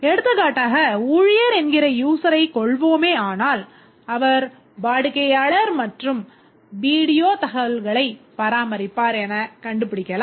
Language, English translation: Tamil, For example, the staff we can find out that the staff can maintain customer and video information